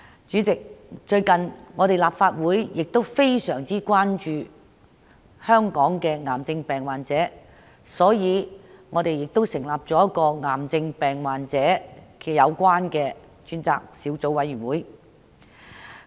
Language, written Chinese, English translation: Cantonese, 主席，最近立法會非常關注本港癌症病患者的情況，故此成立了支援癌症病患者事宜小組委員會作出跟進。, President Members of the Legislative Council are very concerned about the situation of cancer patients in Hong Kong and the Subcommittee on Issues Relating to the Support for Cancer Patients was therefore established recently to follow up on the issue